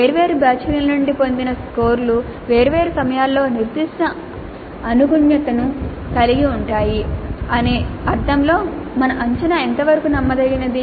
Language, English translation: Telugu, So to what extent our assessment is reliable in the sense that scores obtained from different batches at different times have certain consistency